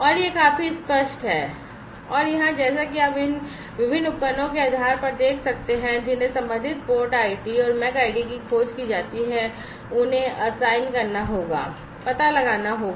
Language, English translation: Hindi, And this is quite obvious and here as you can see based on these different devices that are discovered the corresponding port id and the MAC id, will have to be assigned, will have to be found out